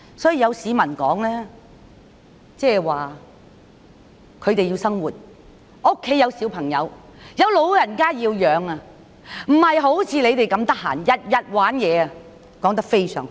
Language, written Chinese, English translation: Cantonese, 有市民說他們要生活，家中有小孩和老人家要供養，不像示威人士那麼空閒，每天在玩鬧，我覺得說得非常好。, According to some citizens they had to earn a living to support their children and elderly family members unlike the protesters who were idle and could fiddle around every day . I think that is a very apt comment